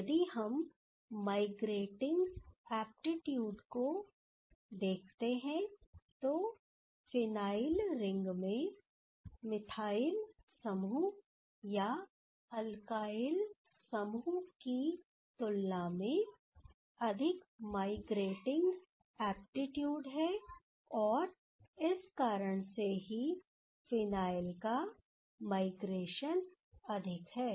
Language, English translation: Hindi, If we see the migrating aptitude, the phenyl ring is having more migrating aptitude, then the methyl group or alkyl group that is why here, this migration of this phenyl is more